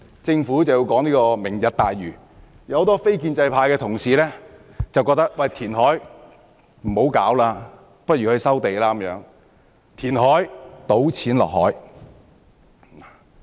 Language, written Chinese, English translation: Cantonese, 政府提出"明日大嶼"的建議，結果很多非建制派同事認為與其填海，不如收地，因為填海等於"倒錢落海"。, Regarding the Governments proposal of Lantau Tomorrow many non - establishment colleagues consider land resumption a better option than reclamation for they think that reclamation is tantamount to dumping money into the sea